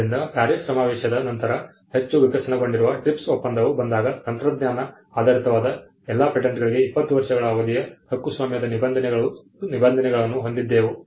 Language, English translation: Kannada, So, when the TRIPS agreement which is a much evolved agreement came after the PARIS convention, we had provisions on the term of the patent the 20 year term for all patents across technology was agreed upon